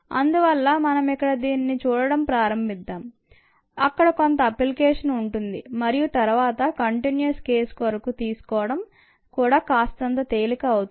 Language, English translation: Telugu, so let us start looking at at here where it has some application and then picking it up for the continuous case becomes a little easier